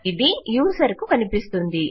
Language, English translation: Telugu, It is visible to the user